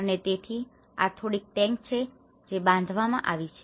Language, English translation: Gujarati, And so, these are some of the tanks which have been constructed